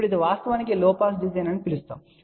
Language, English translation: Telugu, Now, this is a actually known as a low pass design